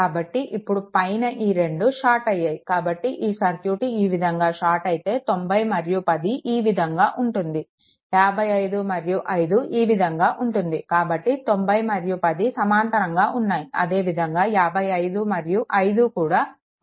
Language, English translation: Telugu, So, if it is so; that means, as these two point are shorted, so 9 and 10 I mean this we have trap together; 9 and 10 are in parallel and 55 and 5 are in parallel